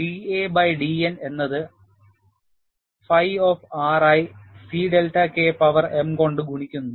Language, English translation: Malayalam, You have da by dN is given as phi of R multiplied by C delta K power m